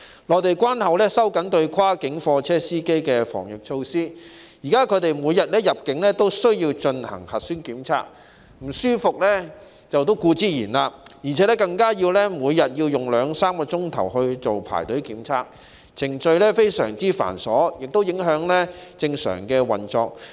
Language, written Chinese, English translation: Cantonese, 內地關口收緊對跨境貨車司機的防疫措施，現時他們每天入境時需進行核酸檢測，感到不舒服是當然的，加上每天要用兩三個小時排隊做檢測，程序非常繁瑣，亦影響日常運作。, The Mainland authorities have tightened the anti - epidemic measures at control points under which cross - boundary truck drivers are currently required to undergo nucleic acid tests upon entry on a daily basis . They naturally find it uncomfortable . In addition they have to spend two to three hours a day queuing for the test